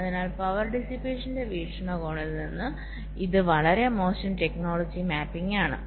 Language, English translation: Malayalam, so from the point of view of power dissipation this is a very bad technology mapping